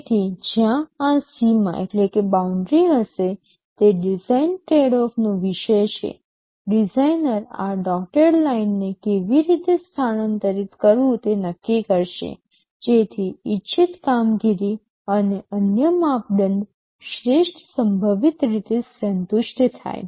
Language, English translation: Gujarati, So, where this boundary will be is a matter of design tradeoff, the designer will decide how to shift this dotted line, so that desired performance and other criteria are satisfied in the best possible way